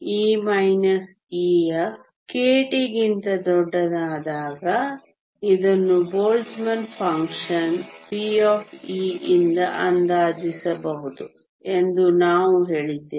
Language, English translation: Kannada, We also said that when e minus e f is much larger than k t this can be approximated by a Boltzmann function p of e